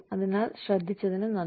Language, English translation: Malayalam, So, thank you for listening